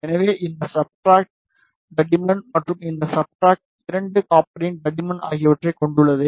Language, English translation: Tamil, So, this contains the substrate thickness, and the thickness of both copper